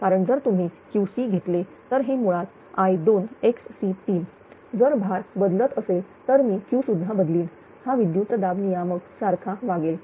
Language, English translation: Marathi, So, because that if you if you take Q c 3; it will be basically I square x c 3; if load is changing I will change the Q will vary right it acts like a voltage regulator